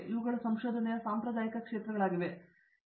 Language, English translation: Kannada, These have been the traditional areas of research